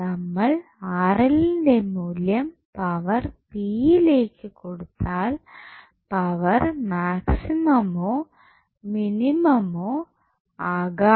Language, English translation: Malayalam, The Rl value what we get if you supply that value Rl into the power p power might be maximum or minimum